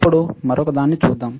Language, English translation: Telugu, Now, let us see another one